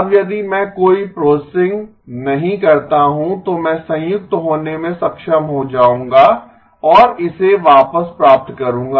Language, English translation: Hindi, Now if I do not do any processing, I will be able to be combined and get it back